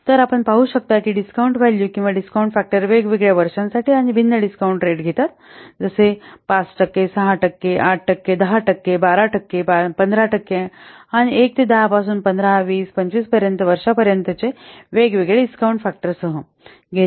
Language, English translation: Marathi, So you can see that the discount values or the discount factors for different years and taking different discount rates like 5%,, 6 percent, 8 percent, 10 percent, 12 percent, 15 percent and different what years like 1 to up to 10, 15, 20, 25, what could be the discount factor with the different discount rates and discount years and the number of years it is shown